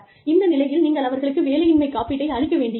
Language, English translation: Tamil, You do not need to give them, unemployment insurance